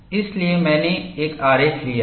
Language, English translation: Hindi, So, I have taken one diagram